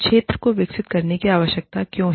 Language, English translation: Hindi, Why does the field, need to evolve